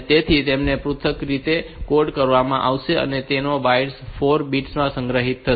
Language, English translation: Gujarati, So, they will be coded the individually and they will be stored in the into 4 bits of a byte